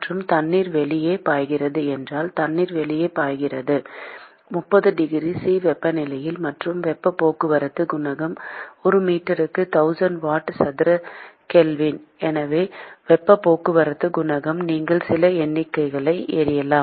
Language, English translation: Tamil, And if water is flowing outside water is flowing outside with at a temperature of 30 degree C; and the heat transport coefficient is 1000 watt per meter square Kelvin that is the heat transport coefficient; and you can throw in some numbers